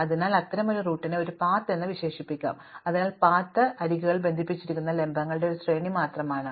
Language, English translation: Malayalam, So, such a route can be described as a path, so a path is just a sequence of vertices connected by edges